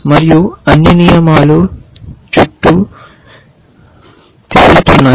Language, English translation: Telugu, And all the rules are kind of floating around